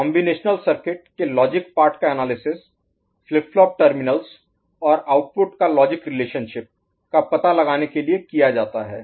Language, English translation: Hindi, Commuterial circuit logic part is analyzed to find out the relationship at flip flop terminals, logic relationship and for the output